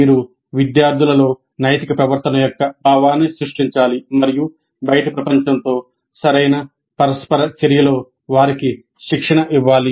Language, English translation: Telugu, You must create that sense of ethical behavior in the students and train them in proper interaction with the outside world